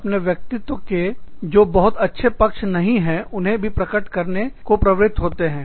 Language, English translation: Hindi, One tends to expose, the not so pleasant aspects, of one's personality